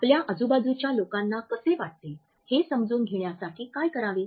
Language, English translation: Marathi, What to better understand how people around you feel